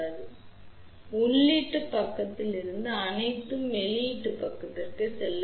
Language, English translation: Tamil, So, everything from input side should go to the output side